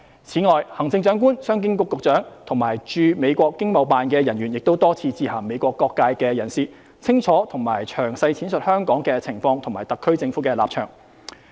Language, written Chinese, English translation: Cantonese, 此外，行政長官、商經局局長和駐美國經貿辦人員亦多次致函美國各界人士，清楚和詳細闡述香港的情況及特區政府的立場。, Moreover the Chief Executive the Secretary for Commerce and Economic Development and officers of ETOs in the United States have written many times to various interlocutors in the United States to explain clearly and in detail the situation in Hong Kong and the HKSAR Governments position